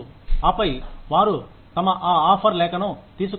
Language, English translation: Telugu, And then, they will take their, that offer letter